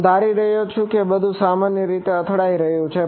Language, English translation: Gujarati, I am assuming as though it everything is hitting normally